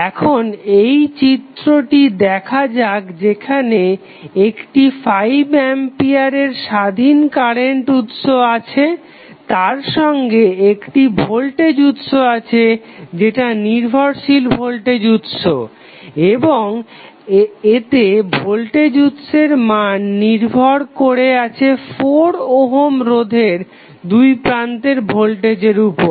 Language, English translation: Bengali, Now, let us see this particular circuit where you will see we have one independent current source of 5 ampere value additionally we have one voltage source which is dependent voltage source and the value of voltage is depending upon the voltage across 4 ohm resistance